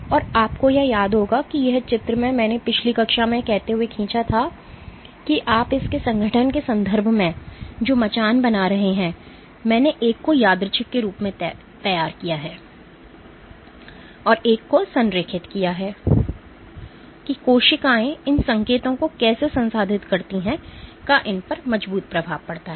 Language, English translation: Hindi, And you would remember this picture I drew from last class saying that the scaffold that you create in terms of its organization here I have drawn one as random and one has aligned these have robust effects on how cells process these cues